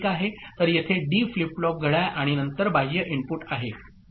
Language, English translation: Marathi, So here is a D flip flip clock and then there is an external input